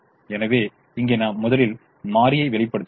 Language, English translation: Tamil, so i go back now and push this variable out